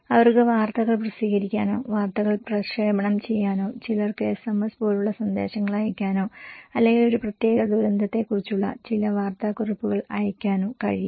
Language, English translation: Malayalam, They can publish news or broadcast news or some send message like SMS or maybe some newsletters about a particular disasters